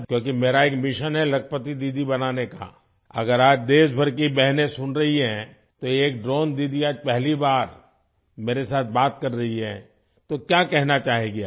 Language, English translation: Hindi, Because I have a mission to make Lakhpati Didi… if sisters across the country are listening today, a Drone Didi is talking to me for the first time